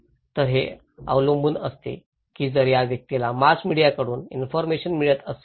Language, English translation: Marathi, So, it depends that if this person is getting informations from the mass media